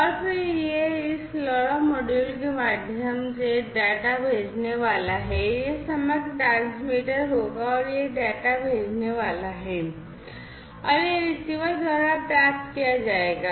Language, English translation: Hindi, And then it will through this LoRa module it is going to send the data, this will be the overall transmitter and it is going to send the data, and it will be received by the receiver